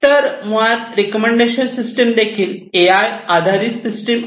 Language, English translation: Marathi, So, recommender systems basically what they do these are also AI based systems